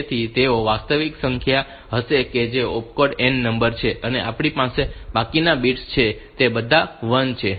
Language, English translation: Gujarati, So, they will contain the actual number that the opcode that are n number that we have the rest of the bits are all 1